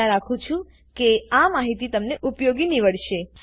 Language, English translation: Gujarati, Hope you find this information helpful